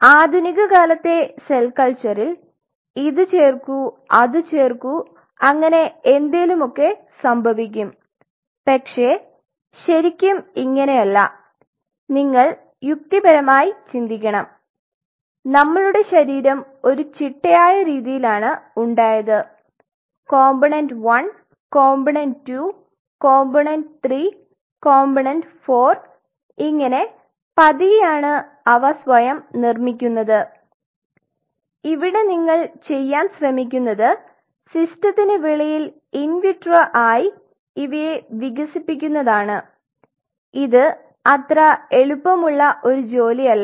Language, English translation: Malayalam, The modern day cell culture is no more like you know add this add that and something happened no you have to think rationally our body has formed in a systematic way component 1 component 2 component 3 component 4 and slowly it has built it itself and now what you are trying to do is he wanted to see an in vitro development outside the system that is not an easy job